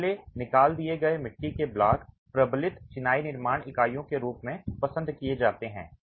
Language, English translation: Hindi, The hollow fire clay blocks are preferred as reinforced masonry construction units